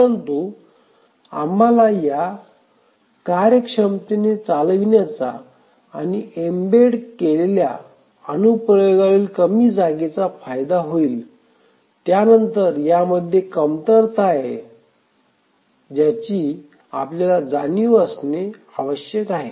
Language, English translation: Marathi, But then even these have the advantage of running efficiently and with less space on an embedded application but then these have their shortcomings which we must be aware of